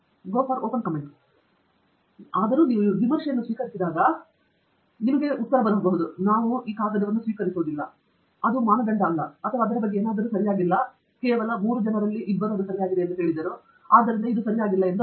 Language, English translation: Kannada, When you get the review even if it says, no, we do not accept this paper, it is not up to the standards or something is not correct about it, you read it, don’t just say that ok two out of three people said it is not correct, so that is means it is not correct